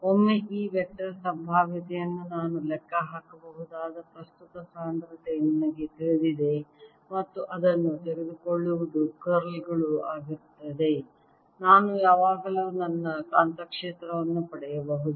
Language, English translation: Kannada, once i know the current density, i can calculate from this the vector potential and taking its curl, i can always get my magnetic field